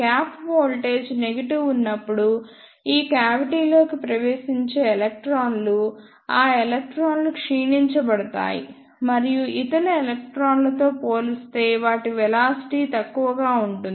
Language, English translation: Telugu, And the electrons which entered this cavity when the gap voltage is negative, those electrons will be decelerated and their velocities will be lesser as compared to the other electrons